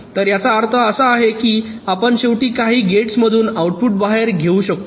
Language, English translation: Marathi, so which means, you see, the outputs are finally taken out from some gates